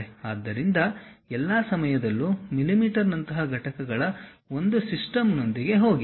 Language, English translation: Kannada, So, all the time go with one uh one system of units like mm